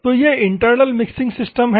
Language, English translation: Hindi, So, these are the internal mixing systems